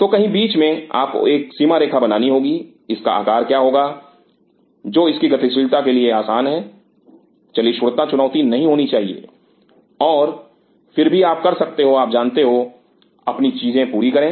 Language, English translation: Hindi, So, somewhere in between you have to draw line what will be the size of it, which is easy to its maneuverability movability should not be a challenge and yet you can you know get you things done